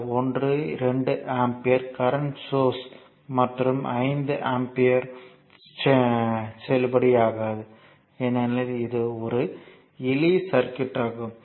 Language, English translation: Tamil, Similarly, this 1 2 ampere currents source and another 5 ampere in the same it is not valid because it is a simple circuit